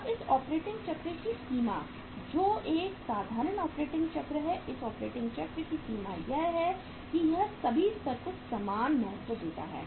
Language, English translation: Hindi, Now the limitation of this operating cycle is which is a simple operating cycle, the limitation of this operating cycle is that it gives the equal importance to all the level